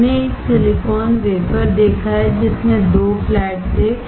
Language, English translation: Hindi, We have seen a silicon wafer, which had 2 flats